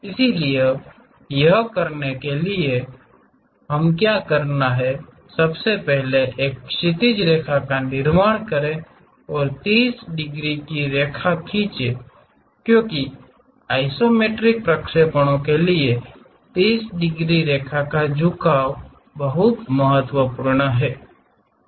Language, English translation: Hindi, So, to do that what we have to do is first construct a horizontal line and draw a 30 degrees line because for isometric projections 30 degrees line is inclination line is very important